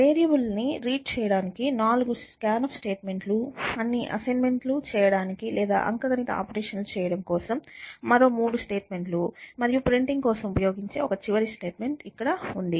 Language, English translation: Telugu, The four scan statement for reading the variables, three statements for doing all the assignments or doing the arithmetic operations and one final statement which takes care of printing